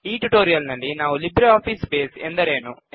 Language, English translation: Kannada, In this tutorial, we will learn about What is LibreOffice Base